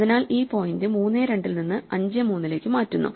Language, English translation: Malayalam, This shifts the point from 3, 2 to 5, 3